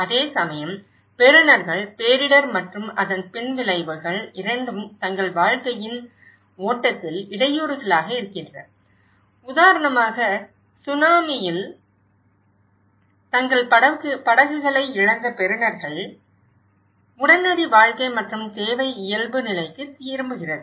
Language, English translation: Tamil, Whereas, the recipients on the other hand both the disaster and its aftermath are disruptions in the flow of their lives, for instance, the recipients who have lost their boats in the tsunami for them, the immediate life and need is getting back to the normal, is getting back to their livelihood